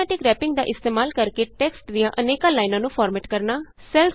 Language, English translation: Punjabi, Formatting multiple lines of text using Automatic Wrapping